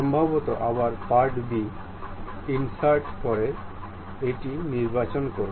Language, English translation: Bengali, Perhaps again insert part b pick this one